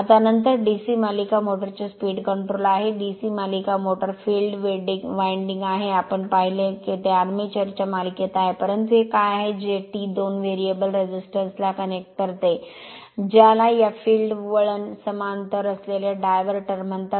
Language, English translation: Marathi, Now, next is your speed control of a DC series motor, DC series motor actually field winding, we have seen is in series with the armature, but what is this that you connect 1 variable resistance, we called diverter that is in parallel to this field winding